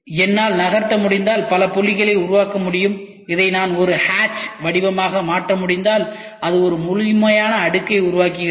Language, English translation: Tamil, If I can move several dots can be created and if I can make it into a hatch pattern then it forms a complete layer